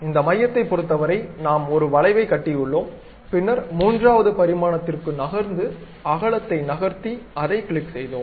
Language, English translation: Tamil, So, with respect to this center, we have constructed an arc, then move to third dimension to decide the width moved and clicked it